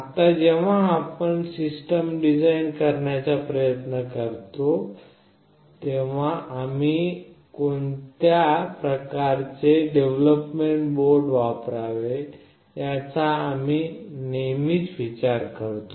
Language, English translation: Marathi, Now when we try to design a system, we always think of what kind of development board we should use